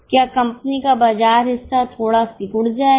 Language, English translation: Hindi, That means the market size or the market share of the company will slightly shrink